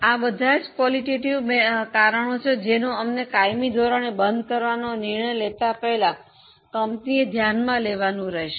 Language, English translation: Gujarati, All these qualitative factors will have to be considered by the company before taking decision of permanent closure